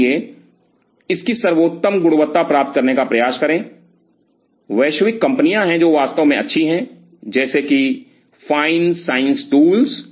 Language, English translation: Hindi, So, try to get the best quality of it, there are global companies which are really good like fine science tools fine science tools